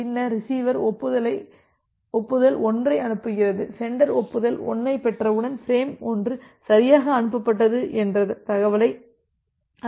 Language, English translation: Tamil, Then you send the receiver sends the acknowledgement 1, so, once the sender receives a acknowledge 1, so, frame 1 has also been correctly transmitted it is able to know that information